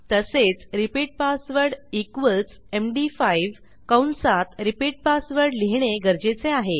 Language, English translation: Marathi, We also need to say repeat password equals md5 and repeat password